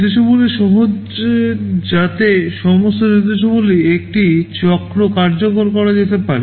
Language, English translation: Bengali, Instructions are simple so that all instructions can be executed in a single cycle